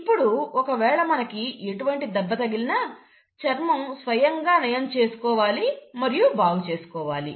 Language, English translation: Telugu, Now if you have any kind of wounds taking place, the skin has to heal itself and it has to repair itself